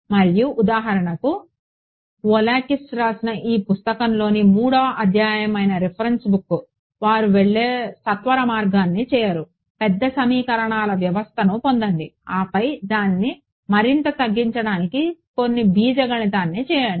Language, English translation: Telugu, And the reference book for example, which is chapter 3 of this book by Volakis, they do not do the shortcut they go through get a larger system of equations then do some algebra to reduce it further